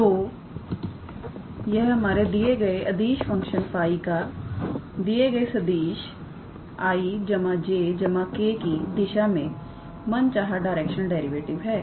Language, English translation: Hindi, So, that is the required directional derivative of the given scalar function phi in this case in the direction of the vector i plus j plus k